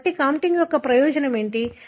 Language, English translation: Telugu, So, what is the purpose of the contig